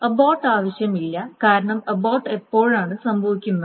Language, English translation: Malayalam, The abort is not needed because when does an abort happen when the transaction fails